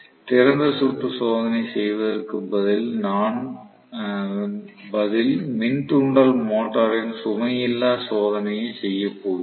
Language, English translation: Tamil, Rather than doing open circuit test what we do is no load test of the induction motor